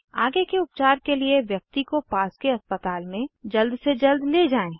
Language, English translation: Hindi, Shift the person quickly to the nearest hospital for further treatment